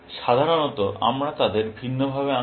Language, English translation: Bengali, Typically, we draw them differently